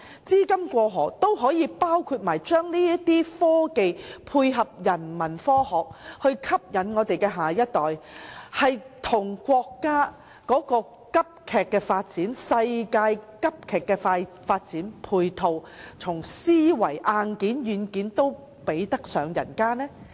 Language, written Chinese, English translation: Cantonese, 資金"過河"可否包括將科技應用在人文科學上，以吸引下一代，配合國家和世界的急速發展，在思維、硬件和軟件上也比得上其他地方？, Can the cross - border funding arrangement include the application of technologies to human science in order to attract the next generation tie in with the rapid development of the country and the world and stay on par with other places in terms of mindset hardware and software?